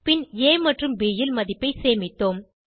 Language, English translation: Tamil, Then we stored the value in a and b